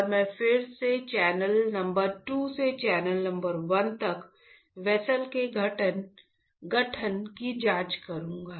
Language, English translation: Hindi, And, I will again check the formation of channels from channel number 2 to channel number 1 formation of vessels from channel number 2 to channel number 1